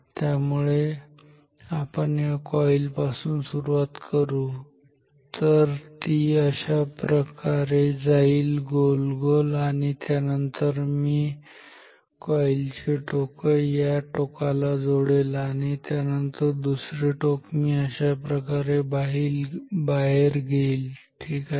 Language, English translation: Marathi, So, let us start the coil from here, so it goes round and round like this and then I will join this end of this coil, to this end and then the other end I will take out like this